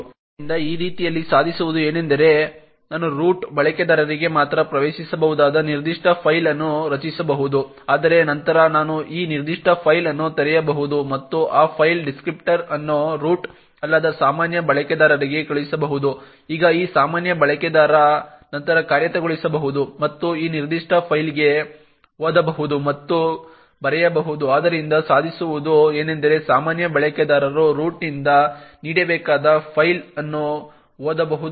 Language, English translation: Kannada, So in this way what can be achieved is that I could create a particular file which is accessible only by root users but then I could open this particular file and send that file descriptor to a normal user who is not a root, now this normal user can then execute and read and write to this particular file, so thus what is achieved is that a normal user can read or write to a file which is owed by a root